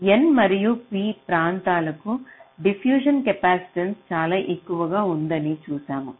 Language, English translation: Telugu, so we have seen that the diffusion capacitance for both n and p regions are very high